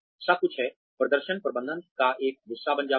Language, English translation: Hindi, Everything is, becomes a part of the performance management